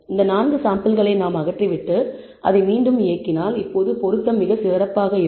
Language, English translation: Tamil, And once we remove these 4 samples which we outliers and then rerun it, now the fit seems to be much better